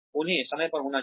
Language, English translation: Hindi, They should be timely